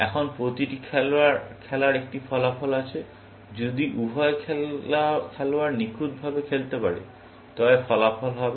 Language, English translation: Bengali, Now, every game has an outcome, which will be the outcome, if both players are playing perfectly